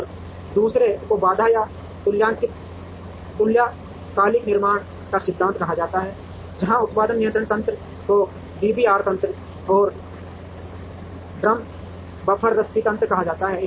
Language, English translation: Hindi, And the other is called theory of constraints or synchronous manufacturing, where the production control mechanism is called the DBR mechanism or Drum Buffer Rope mechanism